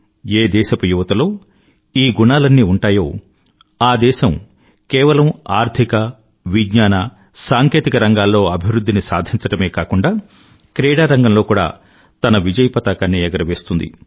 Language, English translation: Telugu, If the youth of a country possess these qualities, that country will progress not only in areas such as Economy and Science & Technology but also bring laurels home in the field of sports